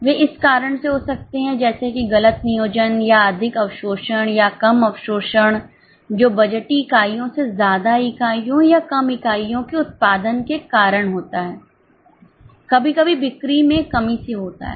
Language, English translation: Hindi, They may happen because of these reasons like wrong planning or over absorption or under absorption, which happens due to extra units produced or less units produced than what was budgeted